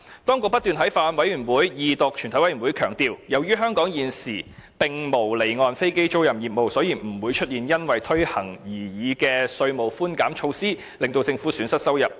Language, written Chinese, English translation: Cantonese, 當局不斷在法案委員會、二讀及全委會審議階段強調，由於香港現時並無離岸飛機租賃業務，所以不會出現因推行擬議稅務寬減措施而令政府損失收入的情況。, As the authorities had stressed time and again at meetings of the Bills Committee as well as during the Second Reading and Committee stage due to the absence of offshore aircraft leasing activities in Hong Kong at present the proposed introduction of tax concessions would not incur any income loss on the part of the Government